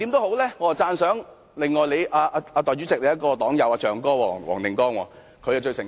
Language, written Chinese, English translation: Cantonese, 我最讚賞主席的黨友黃定光議員，他最誠實。, I would like to commend Mr WONG Ting - kwong the Presidents party member for his honesty